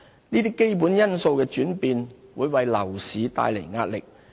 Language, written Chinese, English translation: Cantonese, 這些基本因素的轉變會為樓市帶來壓力。, The changes in these key factors will put pressure on the property market